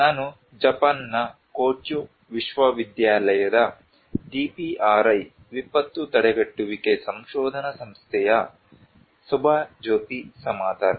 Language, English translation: Kannada, I am Subhajyoti Samaddar from the DPRI Disaster Prevention Research Institute, Kyoto University, Japan